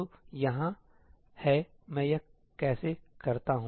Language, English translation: Hindi, So, here is how I do it